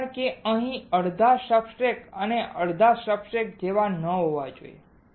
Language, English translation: Gujarati, Because it should not be like half of the substrate here and half the substrate here